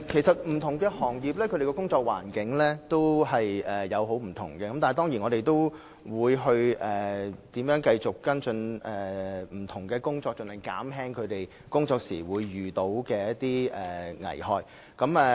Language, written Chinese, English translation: Cantonese, 不同行業的工作環境其實差別很大，但我們會繼續跟進，盡量減少各行各業僱員在工作時可能遇到的危害。, Despite the fact that the work environment of different industries varies greatly we will continue to follow up in order to minimize the possible work hazards facing employees in different industries